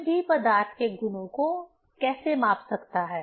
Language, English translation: Hindi, How one can measure the property of matter